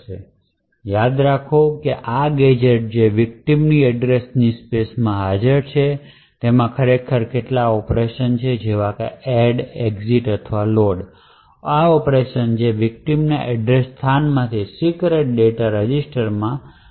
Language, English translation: Gujarati, So, recall that this gadget which is present in the victim's address space is actually having some operations like add, exit or something followed by a load operation which would speculatively load secret data from the victim's address space into a register